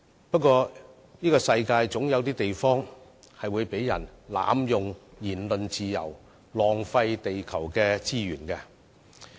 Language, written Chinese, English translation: Cantonese, 不過，世上總有地方會有人濫用言論自由，浪費地球資源。, But there are bound to be places in this world where certain people will abuse their freedom of speech and waste the resources of Mother Earth